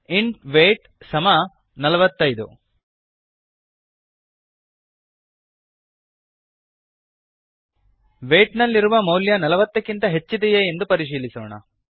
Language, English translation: Kannada, int weight equal to 45 We shall check if the value in weight is greater than 40